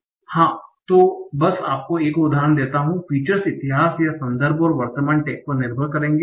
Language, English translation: Hindi, So yes, just to give you another example, features will depend on the history or the context and the current tag